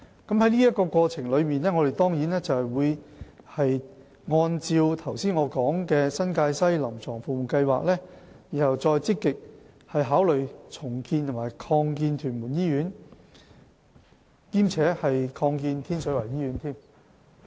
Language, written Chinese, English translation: Cantonese, 在過程中，我們會按照我剛才提及的新界西聯網"臨床服務計劃"，然後再積極考慮重建及擴建屯門醫院，兼且擴建天水圍醫院。, In the process we will follow the CSP for the NTW Cluster which I have mentioned and actively consider redeveloping and expanding TMH and expanding the Tin Shui Wai Hospital